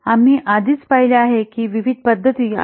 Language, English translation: Marathi, We have already seen that various methodologies are there